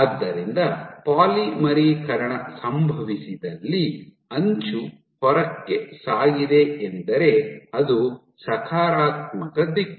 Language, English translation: Kannada, So, where polymerization has happened the edge has moved outward that is my positive direction